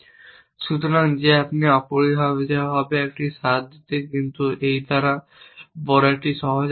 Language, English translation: Bengali, So, that you get a flavor of that essentially, but this by and large is a the simple algorithm